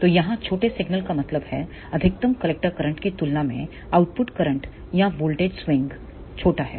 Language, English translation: Hindi, So, here small signal means that the output current or voltage swing is small as compared to the maximum collector current